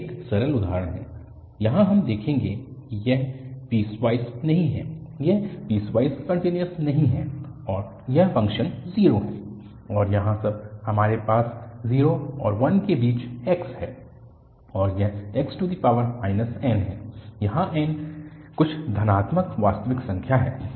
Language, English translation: Hindi, This is a simple example where we will see that this is not piecewise, this is not piecewise continuous and this function is 0, and here when we have when x between 0 and 1, it is x power minus n where n is some positive real number